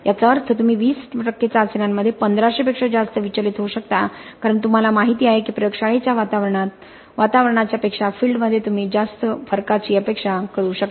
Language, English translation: Marathi, That means you can deviate to even more than 1500 in 20 percent of the tests because you know that in field you can expect a lot more variation than what you have in the laboratory environment